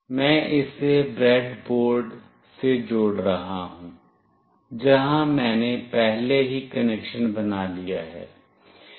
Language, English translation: Hindi, I will be connecting this to the breadboard, where I have already made the connection